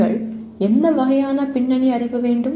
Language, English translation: Tamil, What kind of background knowledge that you need to have